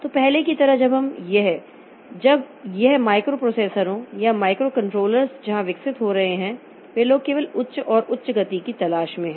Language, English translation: Hindi, So, like previously when this microprocessors and microcontrollers were being developed, so they are people who are looking for only higher and higher speed like that